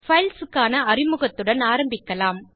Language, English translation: Tamil, Let us start with the introduction to files